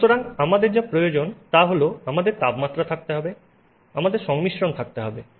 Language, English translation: Bengali, So, what we need to have is we have to have temperature, you have to have composition